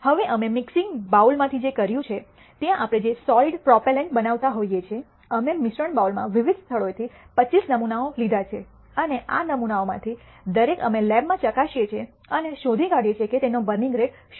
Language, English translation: Gujarati, Now, what we have done in the from the mixing bowl where we are making the solid propellant, we have taken 25 samples from different locations in the mixing bowl and each of these samples we test in the lab and nd that what their burning rate is